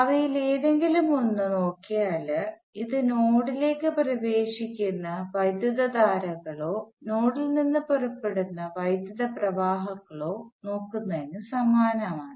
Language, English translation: Malayalam, You look at any one of them this is analogous to either looking at currents entering the node or currents leaving the node